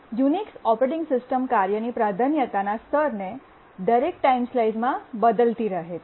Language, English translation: Gujarati, The Unix operating system keeps on shifting the priority level of a task at every time slice